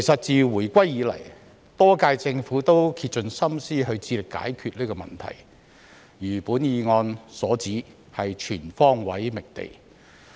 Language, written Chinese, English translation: Cantonese, 自回歸以來，多屆政府也竭盡心思致力解決這問題，如議案所指，是全方位覓地。, Since the return of sovereignty the previous terms of the Government have made every effort to solve these problems . As pointed out in the motion efforts have been made to identify land on all fronts